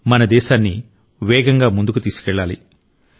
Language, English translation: Telugu, We have to take our country forward at a faster pace